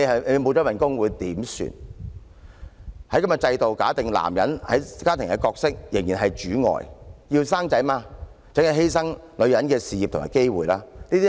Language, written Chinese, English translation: Cantonese, "其實，這種制度便假定了男人在家庭中的角色仍然是"主外"，想生育便要犧牲女人的事業和機會。, In fact such a system works on the assumption that men are meant to be breadwinners and women must sacrifice their career and the accompanying chances if they want to have a child